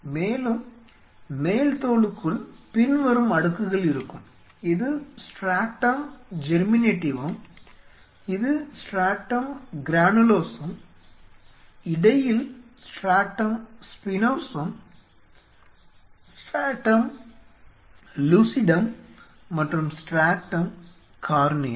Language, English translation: Tamil, And within an epidermis the layers are this is stratum Germinativum stratum this one is Stratum Granulosum in between is Stratum Spinosum, Stratum Lucidum, and Stratum Corneum